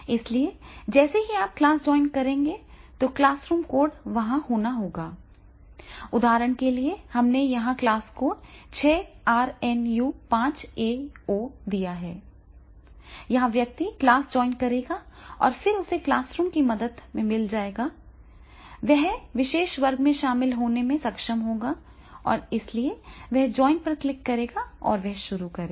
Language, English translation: Hindi, So as soon as you will join the class, then the classroom code has to be there, for example here we have given this class code 6rnu5aO, here the person will join the class and then he will be getting that is the with the help of the classroom code, he will join to the that particular class, so therefore he will click on the join and he will start